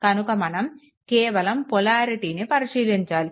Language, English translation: Telugu, So, only polarity you have to check